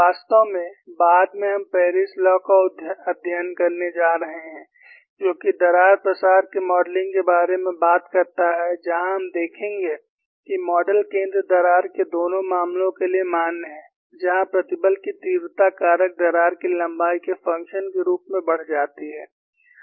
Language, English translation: Hindi, In fact, later we are going to study Paris law, which talks about the modeling of crack propagation, where we would see, that model is valid for both the cases of a center crack, where the stress intensity factor increases as the function of crack length; the counter example is stress intensity factor decreases as a function of crack length